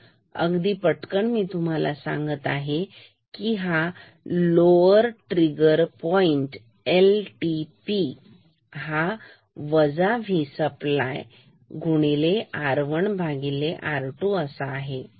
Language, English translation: Marathi, So, very quickly so, this value I will call as lower trigger point LTP is equal to minus V supply R 1 by R 2